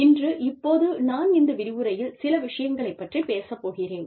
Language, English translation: Tamil, Now, today, I will be talking about, in this lecture, i will be talking about, a few things